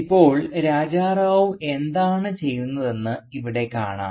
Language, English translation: Malayalam, Now here you see what Raja Rao is doing